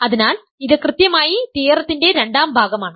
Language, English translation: Malayalam, So, this is exactly the second part of the theorem